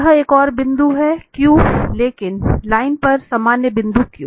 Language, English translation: Hindi, That is another point here the Q, the general point Q on the line